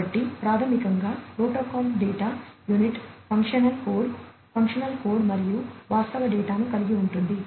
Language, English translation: Telugu, So, basically the protocol data unit has the functional code, function code and the actual data